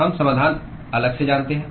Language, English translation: Hindi, We know the solution separately